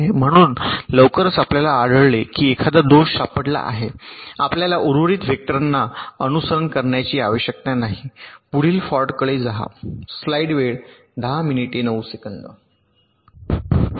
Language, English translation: Marathi, ok, so as soon as you find that a fault is getting detected, you need not simulate to the remaining vectors